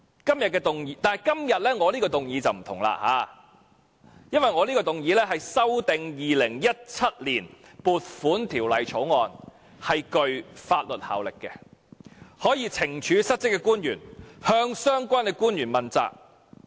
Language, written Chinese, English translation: Cantonese, 但是，我今天的修正案則不同，因為我的修正案是修訂《2017年撥款條例草案》，且具法律效力，可以懲處失職的官員，向相關官員問責。, But this amendment of mine is different because it seeks to amend the Appropriation Bill 2017 and is binding . It can hold defaulting officials accountable and penalize them